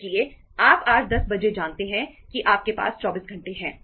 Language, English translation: Hindi, So you know today at 10 oíclock you have 24 hours